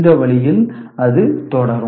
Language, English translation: Tamil, And this way, it will continue